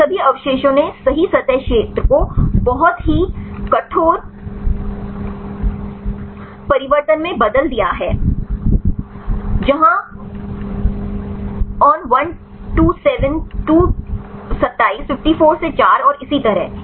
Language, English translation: Hindi, All these residues right they change the accessible surface area very very drastic change where on127to 27, 54 to 4 and so on